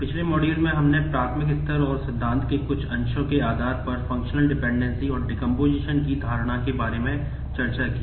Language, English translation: Hindi, In the last module, we discussed about the Notion of functional dependency and decomposition based on that in an elementary level and certain bit of its theory